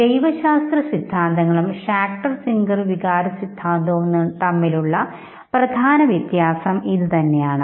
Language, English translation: Malayalam, So this is a major point of distinction between the biological theories and this very specific theory, Schacter Singer theory of emotion